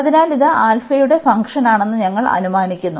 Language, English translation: Malayalam, So, we assume that this is a function of alpha